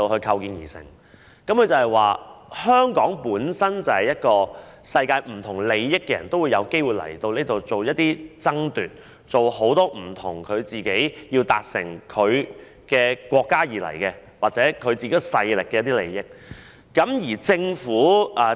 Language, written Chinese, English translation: Cantonese, 他們說香港是一個世界不同利益的人也有機會前來進行一些爭奪的地方，他們是為自己的國家或勢力的利益而來港做不同的事情。, They said that Hong Kong has been a place where people with different interests in the world can have the opportunity to come to engage in some sort of competition and they come to Hong Kong to do different things in the interest of their own countries or forces